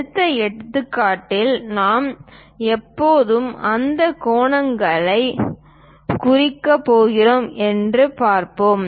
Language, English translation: Tamil, In the next example, we will see when we are going to represents those angles